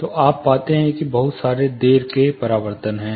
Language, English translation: Hindi, So, you find that there is a lot of late reflection